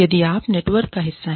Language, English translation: Hindi, If you are part of a network